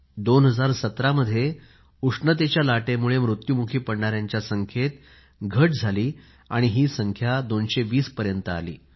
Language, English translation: Marathi, In 2017, the death toll on account of heat wave remarkably came down to around 220 or so